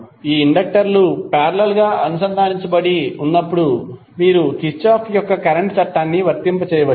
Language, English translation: Telugu, So when these inductors are connected in parallel means you can apply Kirchhoff’s current law